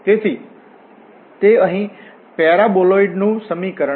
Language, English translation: Gujarati, So it is an equation of such figure here paraboloid